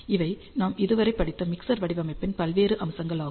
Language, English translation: Tamil, So, these are the various aspects of mixer design that we studied so far